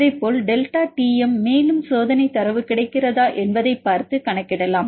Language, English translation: Tamil, Likewise delta T m also you can you can calculate if the experimental data are available